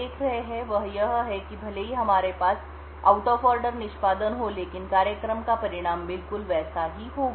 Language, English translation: Hindi, So, what we observe here is that even though the we have an out of order execution the result of the program will be exactly the same